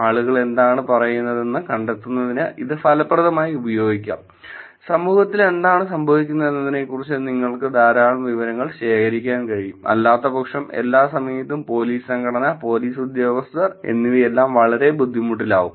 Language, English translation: Malayalam, It can be used effectively for finding out what people are saying, you can actually collect the information lot of things about what is going on in the society, because it is going to be a very hard to have police organization, police personnel at every given point in time, at any given point in the society also